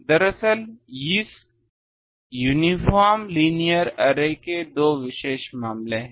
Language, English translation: Hindi, And actually if there are two special cases of this uniform linear array